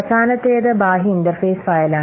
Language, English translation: Malayalam, That's why the name is external interface file